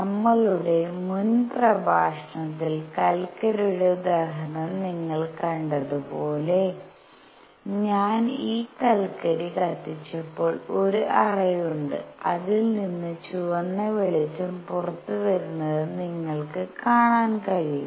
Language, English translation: Malayalam, As you saw the in example of coals in the previous our lecture when I burn these coals there is a cavity from which you can see red light coming out